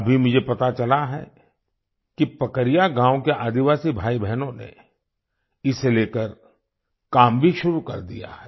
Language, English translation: Hindi, Now I have come to know that the tribal brothers and sisters of Pakaria village have already started working on this